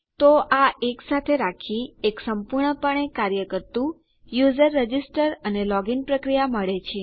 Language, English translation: Gujarati, So by putting these together, we have got a fully functional user register and login process